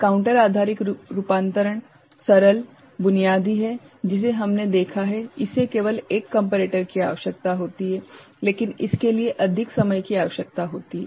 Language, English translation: Hindi, Counter based conversion is simple the basic one that we have seen, that only one comparator is required, but it requires more time